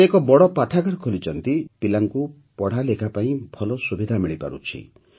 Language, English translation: Odia, He has also built a big library, through which children are getting better facilities for education